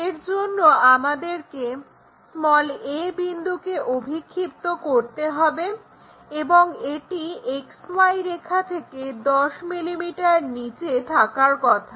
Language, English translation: Bengali, For that we have to locate a' point which is 12 mm above XY line